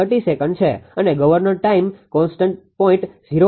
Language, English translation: Gujarati, 30 second and governor time constant 0